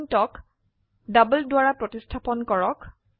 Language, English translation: Assamese, So replace intby double